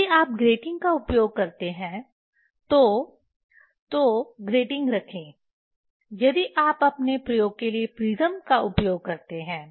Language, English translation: Hindi, If you use grating, put grating if you use the prism for your experiment